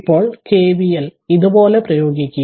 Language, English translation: Malayalam, Now we apply you apply KVL like this